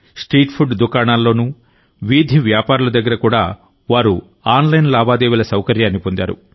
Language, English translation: Telugu, Even at most of the street food and roadside vendors they got the facility of online transaction